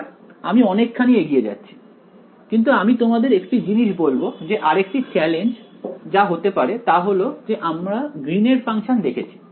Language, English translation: Bengali, Another sort of I am getting ahead of myself, but I will tell you one other challenge that will happen over here is that your we have seen Green’s functions right